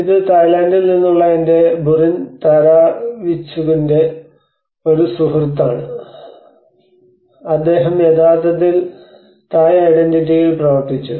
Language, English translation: Malayalam, And this is a friend of mine Burin Tharavichitkun from Thailand, he actually worked on the Thai identity